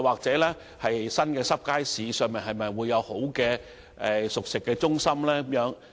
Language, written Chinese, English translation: Cantonese, 新的"濕貨街市"內會否有環境較好的熟食中心？, Will there be cooked food centres with better environment in the new wet markets?